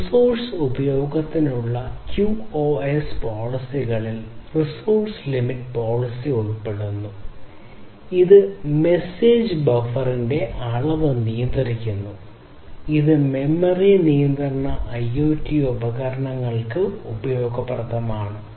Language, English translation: Malayalam, QoS policies for resource utilization include resource limit policy, which controls the amount of message buffering and this is useful for memory constraint IoT devices